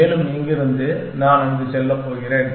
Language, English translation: Tamil, And from here, I am going to go there